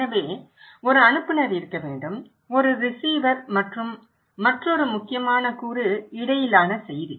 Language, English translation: Tamil, So, there should be one sender, one receiver and another important component is the message between